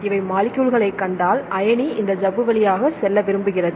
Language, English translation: Tamil, Here if you see the molecules here the ion is here they want to transport through this membrane